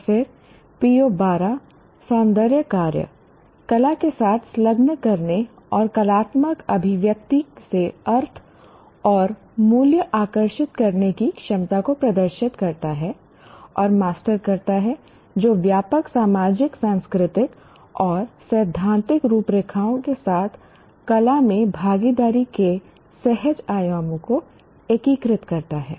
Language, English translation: Hindi, And then PO 12, aesthetic engagement, demonstrate and master the ability to engage with the arts and draw meaning and value from artistic expression that integrates the intuitive dimensions of participation in the arts with broader social, cultural and theoretical frameworks